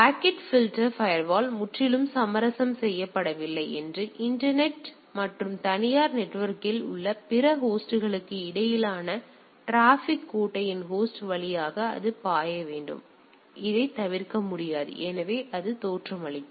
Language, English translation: Tamil, And the packet filtering router is not completely compromised and traffic between the internet and other host on the private network has to flow through the bastion host cannot avoid that things; so, that is the way it looks that